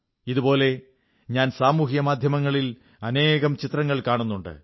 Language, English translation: Malayalam, Similarly I was observing numerous photographs on social media